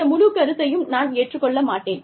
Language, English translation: Tamil, I do not agree, with this whole concept